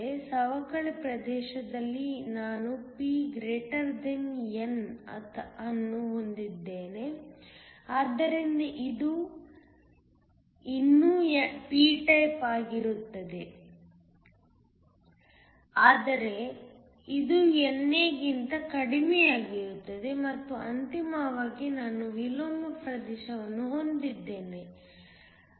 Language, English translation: Kannada, In the depletion region, I have p > n so that it is still a p type, but it is less than NA and finally, I have an inversion region where n > p